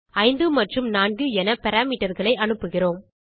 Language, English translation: Tamil, Then we pass the parameters as 5 and 4